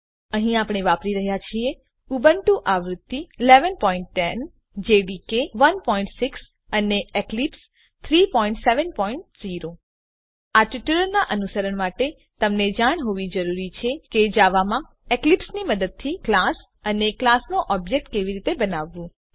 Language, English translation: Gujarati, Here we are using Ubuntu version 11.10 Java Development Environment jdk 1.6 and Eclipse 3.7.0 To follow this tutorial you must know how to create a class and the object of the class in java using eclipse